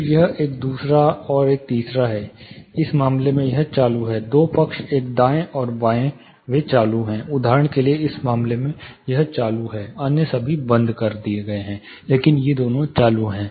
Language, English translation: Hindi, So, this is one second and third are on, say in this case this is on the two side one right and left they are on, in this case for example, this is on all others are off, but these two are on